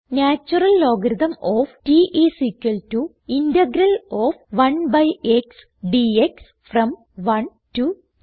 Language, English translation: Malayalam, The natural logarithm of t is equal to the integral of 1 by x dx from 1 to t